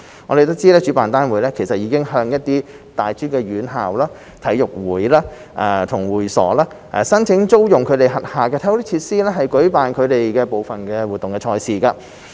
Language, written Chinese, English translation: Cantonese, 我們得悉主辦單位已向一些大專院校、體育會和會所等申請租用其轄下體育設施以舉辦部分賽事。, We understand that the organizer has approached some tertiary institutions sports clubs club houses etc . for hiring their sports facilities to organize some competitions